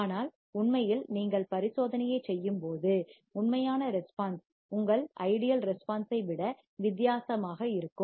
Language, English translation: Tamil, But in reality, when you perform the experiment, the actual response would be different than your ideal response